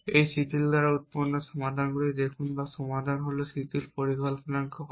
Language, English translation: Bengali, Look at the solution produce by this relaxed or as the solution is call the relax plan